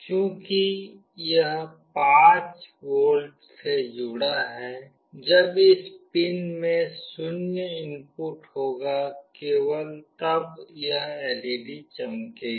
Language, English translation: Hindi, As this is connected to 5V, when this pin will have a 0 input, then only this LED will glow